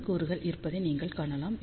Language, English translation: Tamil, So, you can see that there are N elements